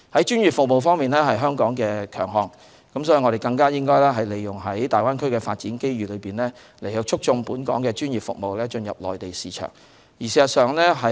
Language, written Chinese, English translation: Cantonese, 專業服務是香港的強項，因此我們應該更好利用大灣區的發展來促進專業服務進入內地市場。, With professional services being the strength of Hong Kong we should make better use of the development of the Greater Bay Area to facilitate the entry of professional services into the Mainland market